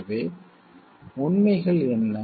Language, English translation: Tamil, So, what the facts are